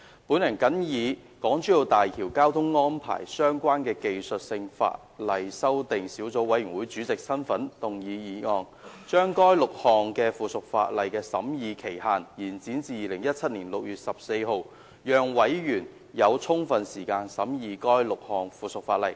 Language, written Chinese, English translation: Cantonese, 本人謹以與港珠澳大橋交通安排相關的技術性法例修訂小組委員會主席身份，動議議案，將該6項附屬法例的審議期限延展至2017年6月14日，讓委員有充分時間審議該6項附屬法例。, In order to allow sufficient time for the Subcommittee to scrutinize the six pieces of subsidiary legislation in my capacity as Chairman of the Subcommittee on Technical Legislative Amendments on Traffic Arrangements for the Hong Kong - Zhuhai - Macao Bridge I move that the scrutiny period of the six pieces of subsidiary legislation be extended to 14 June 2017 . President I so submit . RESOLVED that in relation to the― a Road Tunnels Government Amendment No